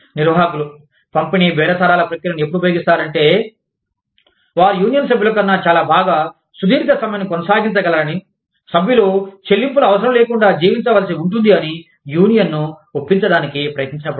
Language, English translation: Telugu, Management tends to use, distributive bargaining, when it tries to convince the union, that it can sustain a long strike, much better than union members, who will have to survive, without their paychecks